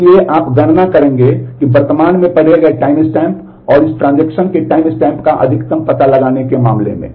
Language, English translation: Hindi, So, you will compute that in terms of finding the maximum of the current read timestamp and the timestamp of this transaction